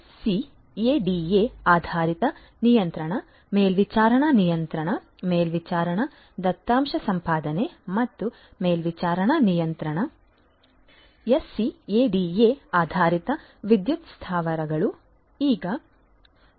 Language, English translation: Kannada, SCADA based control, supervisory control, supervisory data acquisition and supervisory control so, SCADA based power plants are a reality now